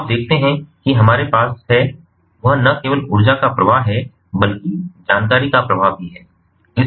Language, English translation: Hindi, so you see that what we have is not only the flow of energy but also the flow of information